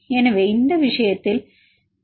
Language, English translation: Tamil, So, in this case what is the number 1